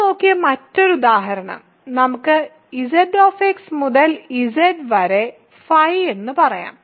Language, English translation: Malayalam, The other example that we looked at, let us say phi from Z[x] to Z ok